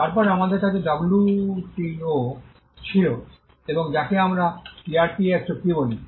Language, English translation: Bengali, Then we had the WTO and what we call the TRIPS agreement